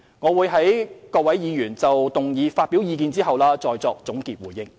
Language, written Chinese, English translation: Cantonese, 我會在各位議員就議案發表意見後再作總結回應。, I will give my conclusion and responses after Members have expressed their views on the motion